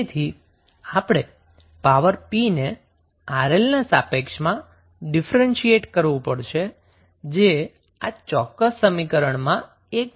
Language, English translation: Gujarati, So, what we have to do now, we have to differentiate the power p with respect to Rl which is the only variable in this particular equation